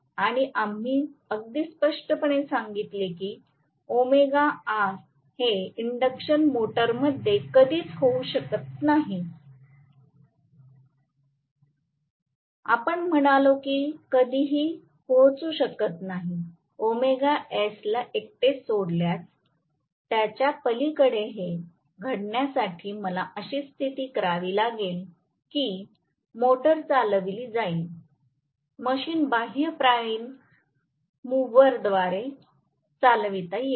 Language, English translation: Marathi, So and we also said very clearly that this can never happen in an induction motor, we said that omega R can never even reach, omega S leave alone going beyond omega S, for this to happen I will have to have a condition where the motor will be driven, the machine will be driven by an external prime mover